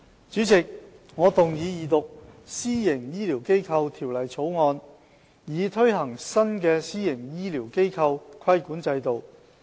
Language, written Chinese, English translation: Cantonese, 主席，我動議二讀《私營醫療機構條例草案》，以推行新的私營醫療機構規管制度。, President I move the Second Reading of the Private Healthcare Facilities Bill the Bill to effect the new regulatory regime for private health care facilities PHFs